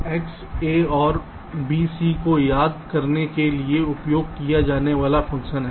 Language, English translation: Hindi, so, ah, this: x is the function used to recall a or b, c